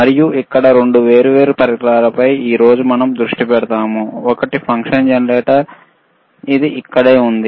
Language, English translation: Telugu, And here today we will concentrate on two different equipments: one is function generator which is right over here